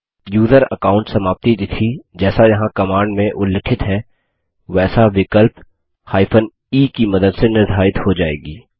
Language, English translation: Hindi, The user account expiry date is set as mentioned in the command here with the help of the option e